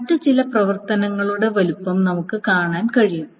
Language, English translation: Malayalam, Now size of some other operations we can see